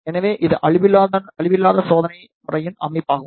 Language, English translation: Tamil, So, this is a setup of non destructive testing system